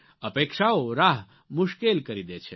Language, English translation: Gujarati, Expectations make the path difficult